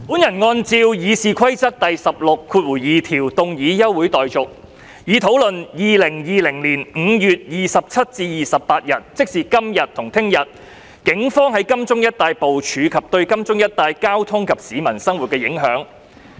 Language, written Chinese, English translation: Cantonese, 我按照《議事規則》第162條要求動議休會待續，以討論2020年5月27日至28日，警方在金鐘一帶的部署及對金鐘一帶交通及市民生活的影響。, In accordance with Rule 162 of the Rules of Procedure I propose moving a motion for the adjournment of this Council to debate the deployment of the Police in the area of Admiralty on 27 and 28 May 2020 and its impact on local traffic and peoples livelihood